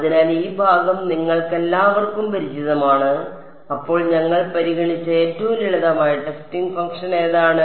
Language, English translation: Malayalam, So, this part is sort of familiar to all of you right; then, what was the simplest kind of testing function that we considered